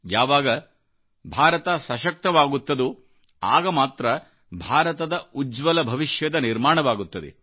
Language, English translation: Kannada, When India will be fit, only then India's future will be bright